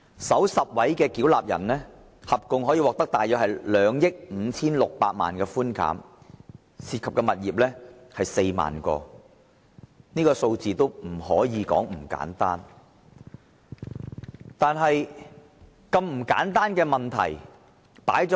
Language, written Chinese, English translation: Cantonese, 首10位差餉繳納人獲寬減的稅款合共約為2億 5,600 萬元，涉及的物業則有 40,000 個，這數字可不簡單。, The total amount of rates concession received by the top 10 ratepayers was about 256 million involving 40 000 properties . This number is not small at all